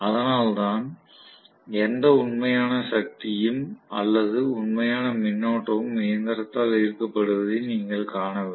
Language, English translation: Tamil, That is why you are not seeing any real power or real current being drawn by the machine